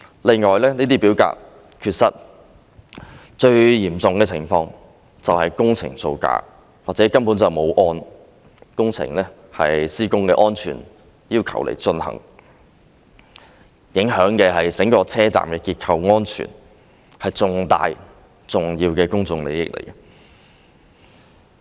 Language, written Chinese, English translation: Cantonese, 另外，這些表格缺失，最嚴重的情況是工程造假或工程根本沒有按施工安全要求進行，影響的是整個車站的結構安全，是重大、重要的公眾利益。, Moreover with regard to the missing of these forms the most serious situation is that frauds were committed in the construction works or the works were not carried out in accordance with the safety requirements which would compromise the structural safety of the station as a whole so this is major significant public interest